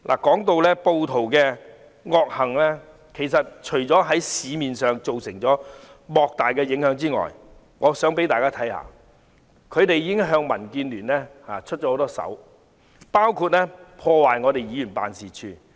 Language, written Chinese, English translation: Cantonese, 說到暴徒的惡行，除了對市面造成莫大影響外，我想讓大家看一看，他們其實已經多次向民建聯下手，包括破壞我們的議員辦事處。, The evil deeds of the rioters have seriously hampered society . I wish to show Members how they have repeatedly targeted DAB in these pictures including vandalizing our District Council members offices . A total of 80 - odd offices have been vandalized and some repeatedly vandalized